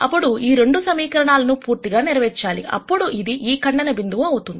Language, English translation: Telugu, Then if both of these equations have to be satisfied, then that has to be this intersecting point